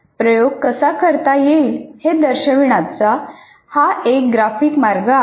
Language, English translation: Marathi, So this is one graphic way of representing how an experiment can be done